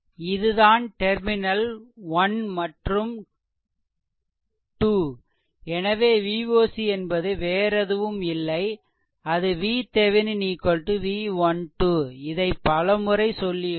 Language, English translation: Tamil, So, this is your terminal 1 and this is terminal 2 so, V oc actually nothing, but V Thevenin is equal to several times I am telling is equal to V 1 2